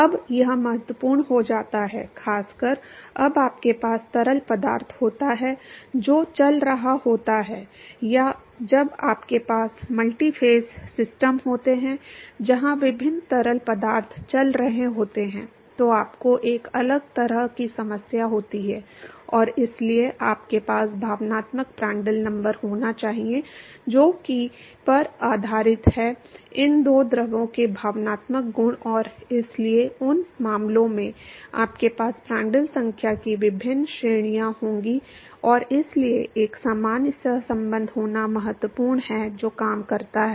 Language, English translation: Hindi, Now, this becomes important, particularly when you have fluid which is moving or when you have multiphase systems where different fluids are moving, then you have a different kind of problem and so, you need to have affective Prandtl number, which is based on the affective properties of these two fluids and so, in those cases you will have different ranges of Prandtl number and so, it is important to have a general correlation which works